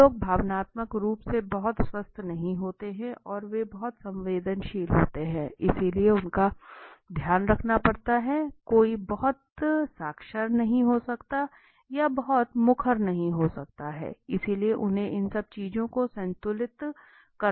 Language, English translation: Hindi, Some people are not emotionally very sound and they are very sensitive, so they have to be taken care of, somebody might not be very literate, or might not be very outspoken, so they have to balanced all these things